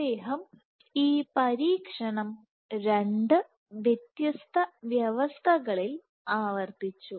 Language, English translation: Malayalam, So, he repeated these experiment 2 conditions